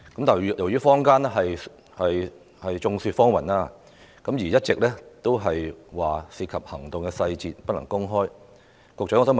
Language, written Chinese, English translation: Cantonese, 雖然坊間眾說紛紜，但警方一直以涉及行動細節理由不能公開催淚彈成分。, Despite all kinds of hearsay circulating in the community the Police keep saying that content of tear gas canisters cannot be released as it involves the details of operations